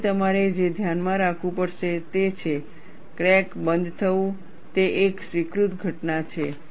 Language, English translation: Gujarati, So, what you will have to keep in mind is, crack closure is an accepted phenomena